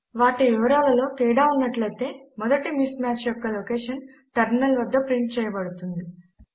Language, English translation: Telugu, If there are differences in their contents then the location of the first mismatch will be printed on the terminal